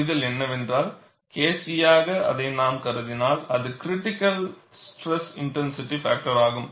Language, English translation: Tamil, See, the understanding is, if we put as K c, it is a critical stress intensity factor